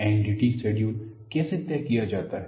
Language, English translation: Hindi, How is the NDT schedule decided